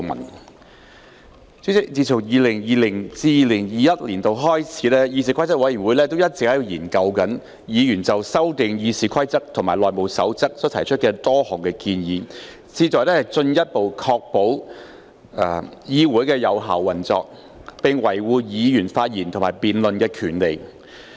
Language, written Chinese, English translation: Cantonese, 代理主席，自 2020-2021 年度開始，議事規則委員會一直研究議員就修訂《議事規則》及《內務守則》提出的多項建議，旨在進一步確保議會有效運作，並維護議員發言及辯論的權利。, Deputy President since the commencement of the 2020 - 2021 session CRoP has been examining proposals submitted by Members to amend RoP and the House Rules HR to better ensure the effective operation of the legislature and uphold the rights of Members to speak and to debate